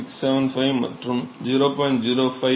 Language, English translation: Tamil, 675 and 0